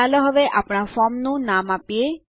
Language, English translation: Gujarati, Let us now give a name to our form